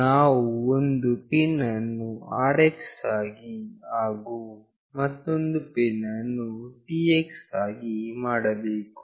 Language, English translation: Kannada, We have to make one pin as RX, and another pin as TX